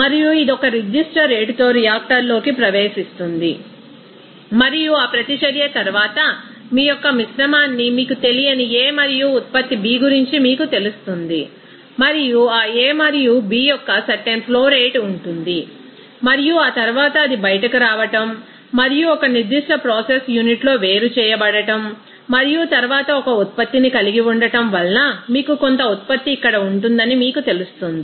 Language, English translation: Telugu, And it enters to the reactor at a certain rate and after that reaction, it will give you the you know mixture of you know unreacted A and the product B and there will be certain flow rate of that A and B and after that it will be coming out and to be separated in a certain process unit and then has a product you will see that some amount of you know product that will be here